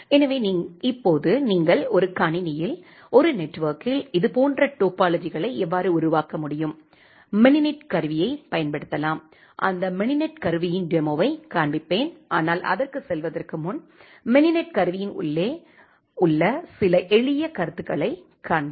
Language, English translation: Tamil, So, now how you can create such kind of topologies in a network in a computer, we can use the mininet tool I will show you a demo of that mininet tool, but before going to that just showing you some simple comments inside the mininet tool